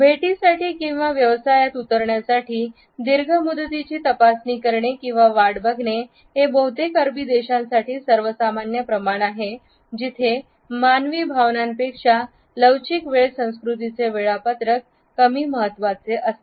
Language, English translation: Marathi, Being led to an appointment or checking a long term to get down to business is the accepted norm for most Arabic countries; for flexible time cultures schedules are less important than human feelings